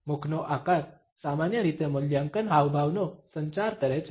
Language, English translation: Gujarati, The shape of the mouth normally communicates evaluation gestures